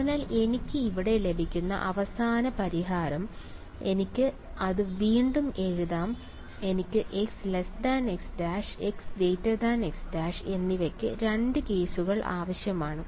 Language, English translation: Malayalam, So, the final solution that I get over here I can write it again I will need two cases right for a x less than x prime and x greater than x prime